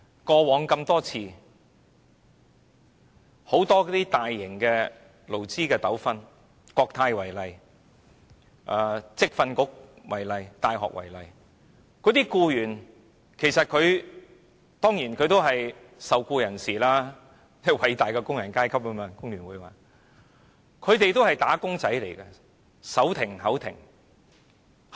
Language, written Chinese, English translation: Cantonese, 過往很多大型的勞資糾紛，以國泰、職業訓練局和大學為例，僱員當然是受僱人士，即工聯會所說的偉大的工人階級，他們也是"打工仔"，手停口停。, In the past there were many major labour disputes . Take Cathay Pacific Airways the Vocational Training Council and universities as examples their employees were of course under employment and in the words of FTU they were the great working class